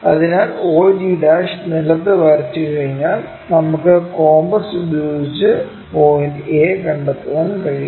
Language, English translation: Malayalam, So, use once we draw og' resting on the ground, we can always locate a point by compass